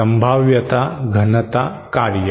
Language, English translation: Marathi, Probability density function